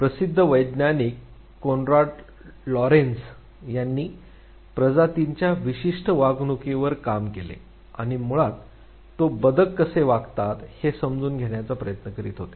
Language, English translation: Marathi, The famous scientist Konrad Lorenz, he worked on the species specific behavior and basically he was trying to understand how the ducklings behave